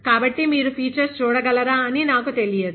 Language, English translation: Telugu, So, I am not sure whether you are able to see the features